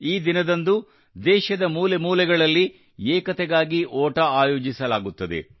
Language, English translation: Kannada, On this day, Run for Unity is organized in every corner of the country